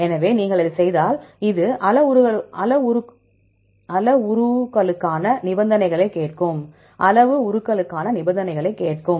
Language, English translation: Tamil, So, if you do this, it will ask for the conditions for the parameters